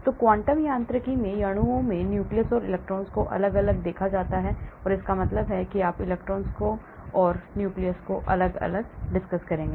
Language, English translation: Hindi, So in the quantum mechanics the nucleus and electrons in the molecules are separately constituted, that means you look at electrons separately and nuclei separately